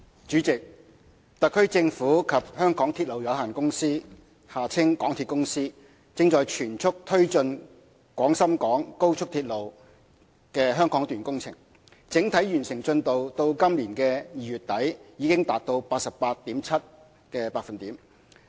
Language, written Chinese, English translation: Cantonese, 主席，特區政府及香港鐵路有限公司正全速推進廣深港高速鐵路香港段工程，整體完成進度至今年2月底已達 88.7%。, President the Government and the MTR Corporation Limited MTRCL are pressing ahead at full speed with the works on the Hong Kong section of the Guangzhou - Shenzhen - Hong Kong Express Rail Link XRL and the overall progress as at end - February this year is 88.7 %